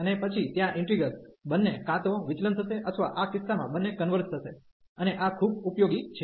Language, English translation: Gujarati, And then there integral will also either both will diverge or both will converge in this case, and this is very useful